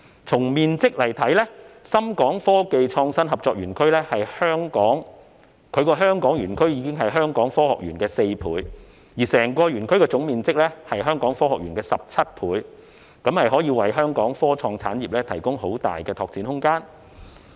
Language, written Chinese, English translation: Cantonese, 從面積來看，深港科技創新合作園區的香港園區的面積是香港科學園的4倍，而整個園區的總面積更是香港科學園的17倍，可以為香港科創產業提供很大的拓展空間。, With regard to size the Hong Kong - Shenzhen Innovation and Technology Park HSITP of SITZ covers an area which is four times that of Hong Kong Science Park while the total area of the whole SITZ is 17 times that of it thus providing plenty of space for Hong Kongs IT industry to develop